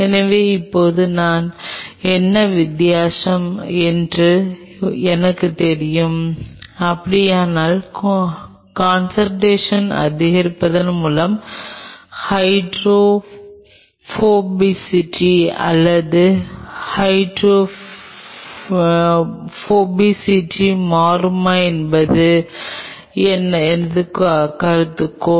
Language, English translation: Tamil, So, now, I know now what is the difference, if at all so, my hypothesis is that whether with the increase in concentration the hydrophobicity or hydrophobicity will change